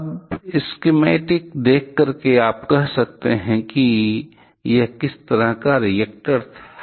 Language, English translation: Hindi, Now, seeing the schematic can you say what kind of reactor it was